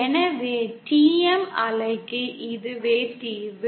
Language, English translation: Tamil, So this is the solution for the TM wave